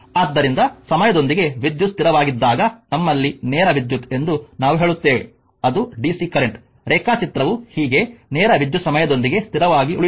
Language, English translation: Kannada, So, when a current is constant with time right, we say that we have direct current that is dc current, I will show you the diagram thus a direct current is a current that remain constant with time